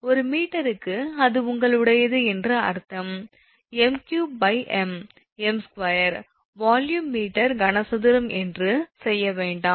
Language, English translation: Tamil, Per meter means that it is your, do not make me your m cube by mm square, do not do that it is volume meter cube